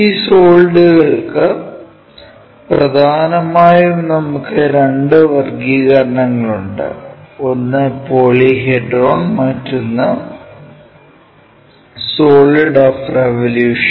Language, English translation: Malayalam, For this solids mainly we have two classification; one is Polyhedron, other one is solids of revolution